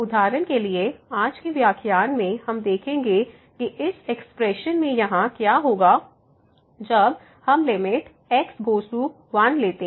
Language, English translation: Hindi, And, in today’s lecture we will see that for example, this form here minus minus when we take the limit as goes to